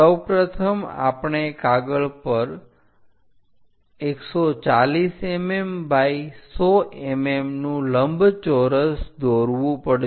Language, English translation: Gujarati, First of all, we have to draw 140 mm by 100 mm rectangle on the sheet